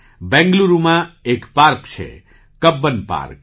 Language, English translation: Gujarati, There is a park in Bengaluru – Cubbon Park